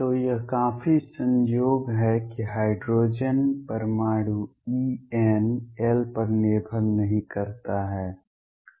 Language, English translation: Hindi, So, this is quite a coincidence for hydrogen atom E n does not depend on l